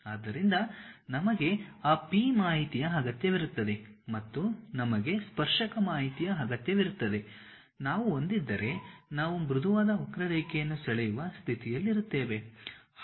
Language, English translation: Kannada, So, we require that P informations and also we require the tangent informations, if we have we will be in a position to draw a smooth curve